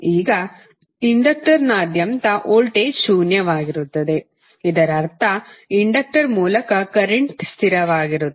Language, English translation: Kannada, Now voltage across inductor is zero, it means that current through inductor is constant